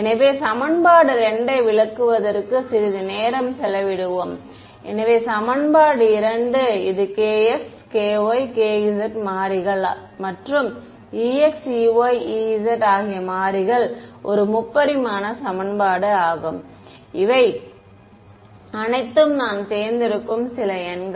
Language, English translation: Tamil, So, let us spend some time interpreting equation 2 so, equation 2 it is a three dimensional equation in the variables k x, k y, k z right and this e x, e y, e z all of these are numbers some numbers that I choose